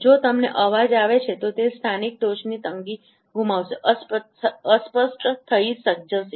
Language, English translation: Gujarati, If you have noise, then the sharpness of that local peak would be lost, would be blurred